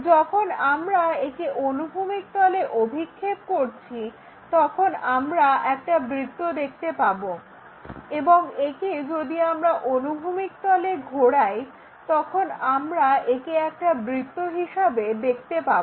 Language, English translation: Bengali, When we are projecting on the horizontal plane, we see a circle and rotate that on to this horizontal plane, then we will see it as a circle and that is one what we are seeing